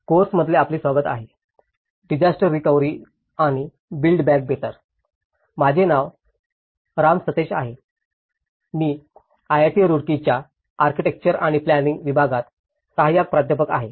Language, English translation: Marathi, Welcome to the course; disaster recovery and build back better, my name is Ram Sateesh, I am Assistant Professor in Department of Architecture and Planning, IIT Roorkee